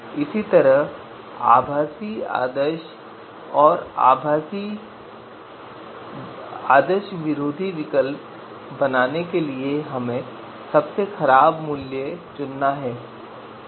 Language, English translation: Hindi, Similarly, to construct virtual anti ideal alternative you know we have to pick the worst value